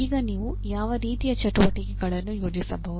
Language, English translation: Kannada, Now what are the type of activities that you can plan